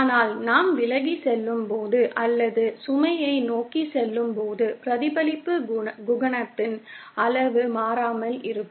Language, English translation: Tamil, But as we move away or towards the load, the magnitude of the reflection coefficient remains constant